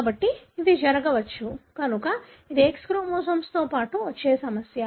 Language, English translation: Telugu, So this could happen; so that is the complication that comes along with X chromosome